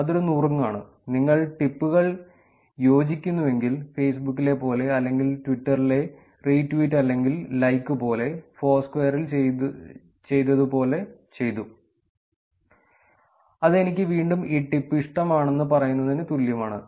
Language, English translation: Malayalam, That is a tip and if you agree on the tips, like the like in Facebook or like the re tweet or the like in Twitter again, there is something called as done, d o n e in Foursquare which is actually again saying that I like this tip